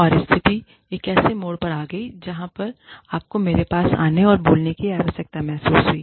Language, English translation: Hindi, And, the situation got to a point, where you felt the need, to come and speak to me